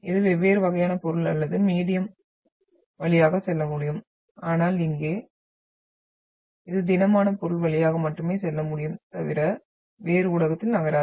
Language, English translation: Tamil, It can go through the different type of material or the medium but here, this does not move in other medium other than only it can go through solid